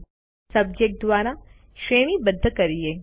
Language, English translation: Gujarati, Now, lets sort by Subject